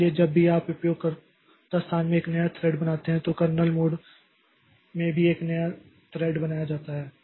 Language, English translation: Hindi, So, whenever you create a new thread in the user space, a new thread is created in the kernel mode also